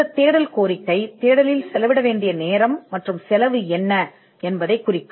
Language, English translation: Tamil, And this search request would indicate what is the time and cost that has to be expended in the search